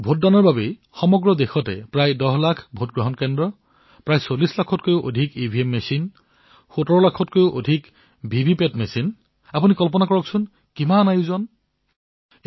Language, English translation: Assamese, For the voting, there were around 10 lakh polling stations, more than 40 lakh EVM machines, over 17 lakh VVPAT machines… you can imagine the gargantuan task